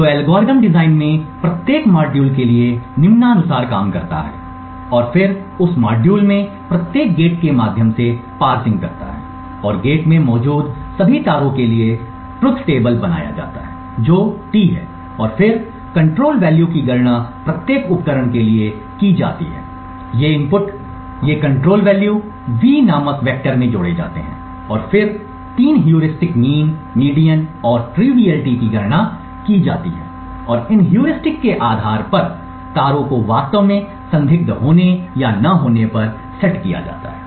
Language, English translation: Hindi, So the algorithm works as follows for each module in the design and then parsing through each gate in that module and for all the wires that are present in the gate, the truth table is built that is T and then control values are computed for each of these inputs, these control values are added to a vector called V and then the three heuristics mean, median and triviality are computed and based on these heuristics, wires are actually set to whether being suspicious or not being suspicious